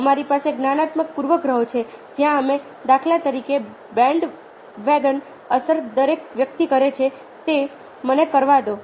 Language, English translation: Gujarati, ok, we have cognitive biases where we, for instances, ah, the bandwagon effect, everybody is doing it